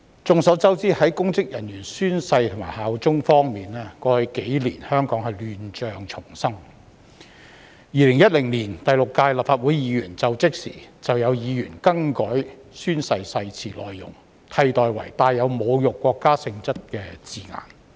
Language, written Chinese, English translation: Cantonese, 眾所周知，在公職人員宣誓及效忠方面，過去幾年香港亂象叢生。2016年第六屆立法會議員就職時，曾有議員更改宣誓誓詞的內容，並以帶有侮辱國家性質的字眼取代。, Concerning public officers oath - taking and bearing allegiance we all know that there had been chaos in Hong Kong in the past few years and when Members of the Sixth Legislative Council assumed office in 2016 some Members changed the content of the oath and replaced it with wordings insulting to the country